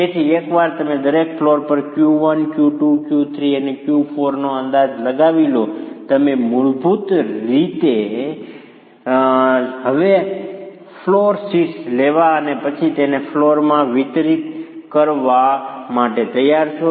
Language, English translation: Gujarati, So, once you estimate Q1, Q2, Q3 and Q4 at each flow, you are basically ready to now take the floor shares and then distribute it in the flows